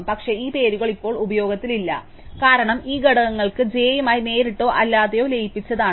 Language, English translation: Malayalam, But, these names are no longer in use, because these components have a got merged directly or indirectly with j